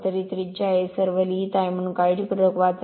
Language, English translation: Marathi, So, it is a radius, so all these write up is there, so just read carefully